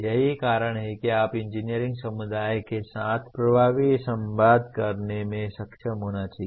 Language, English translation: Hindi, That is you should be able to communicate effective with engineering community